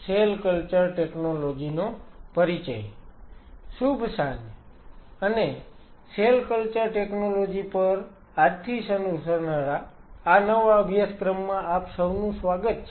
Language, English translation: Gujarati, Good evening, and welcome you all to this new course which will be starting today on cell culture technology